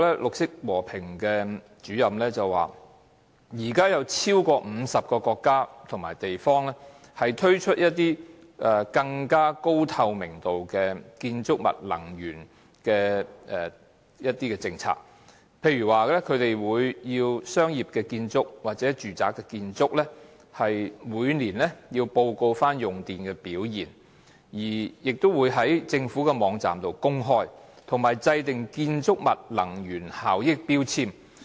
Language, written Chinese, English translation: Cantonese, 綠色和平項目主任楊文友表示，現時超過50個國家及地方推出了高透明度的建築物能源政策，例如規定商業或住宅建築物每年須報告用電表現，在政府的網站公布，同時亦制訂建築物能源標籤。, According to YEUNG Man - yau Greenpeace Campaigner over 50 countries and places have already implemented some highly transparent energy policies for buildings such as requiring commercial or residential buildings to submit an annual report on electricity consumption performance to be uploaded to government websites and formulating energy labelling of buildings